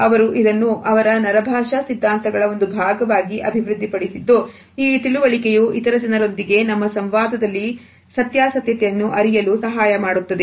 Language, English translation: Kannada, They developed it is a part of their neuro linguistic theories and this understanding helps us to judge the truthfulness in our interaction with other people